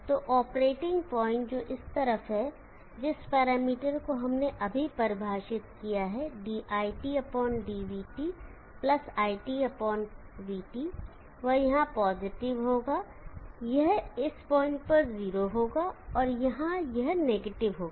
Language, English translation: Hindi, So in the operating point is on this side, the parameter that we just defined dit/dvt +IT/VT that will be positive here, it will 0 at this point and it will be negative here